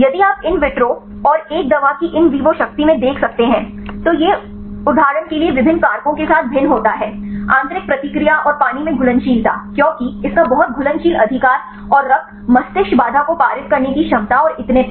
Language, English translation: Hindi, There can if you see the in vitro and in vivo potencies of a drug it varies with different factors for example, the intrinsic reactivity and the solubility in water because its too soluble right and the ability to pass the blood brain barrier and so on right